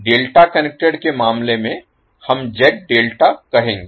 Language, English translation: Hindi, In case of delta connected we will specify as Z delta